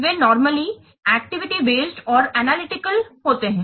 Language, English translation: Hindi, So, here normally they are activity based and analytical